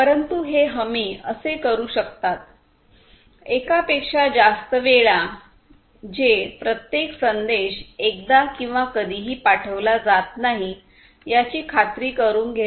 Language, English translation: Marathi, But, these guarantees may do so, multiple times at most once which is about each ensuring that each message is delivered once or never